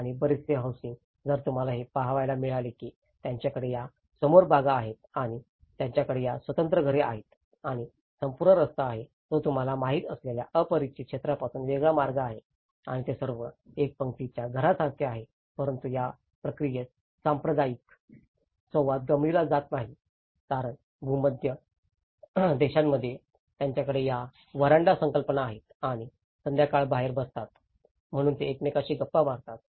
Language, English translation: Marathi, And much of the housing, if you can see that they have these front gardens and they have these detached housing and the whole street, it was a vast street layouts that separates from the neighborhood you know, they are all like a row house aspect but that communal interaction gets missing in this process because that the Mediterranean countries they have this veranda concepts and the evenings sit outside, they chit chat with each other